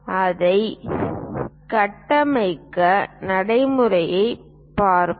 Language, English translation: Tamil, Let us look at the procedure